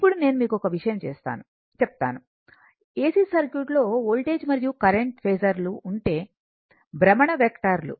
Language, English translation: Telugu, Now, one thing I will tell you that voltage and current, voltage and current this is I say, I told you in ac circuit phasor is a rotating vector